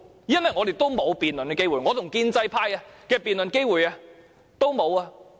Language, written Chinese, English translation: Cantonese, 因為我們沒有辯論的機會，我和建制派的辯論機會都沒有。, It is because we do not have the opportunity to debate . I do not have any chance to debate the Bill with pro - establishment Members